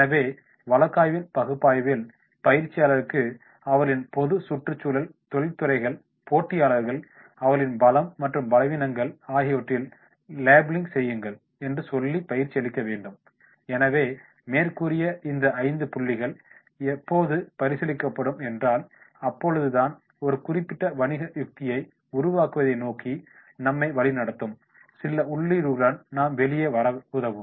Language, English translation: Tamil, So in case analysis we have to trained the trainees to say that make the labelling in their case of general environment industries, the competitors, the strengths and weaknesses, so all these 5 points then when we will be considering then we will come out some input which will be directing us towards the formulation of a particular strategy